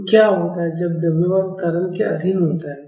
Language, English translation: Hindi, So, what happens when a mass under acceleration